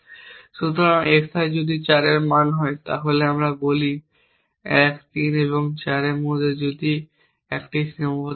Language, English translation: Bengali, So, if xi is equal to 4 let us say then if there is a constraint between 1 3 and 4